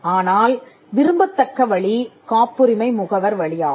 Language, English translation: Tamil, But the preferred route is through a patent agent